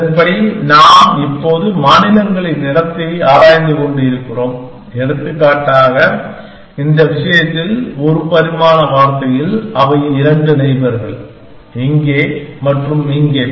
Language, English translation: Tamil, Given that, we are now exploring the states place and this algorithm says that for example, in this case, in a one dimensional word, they are two neighbors here and here